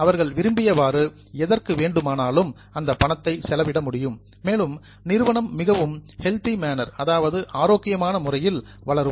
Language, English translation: Tamil, They can spend that money on anything which they want and the company will grow in a very healthy manner